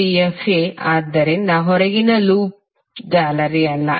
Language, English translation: Kannada, Abcdefa so outer loop is not a mesh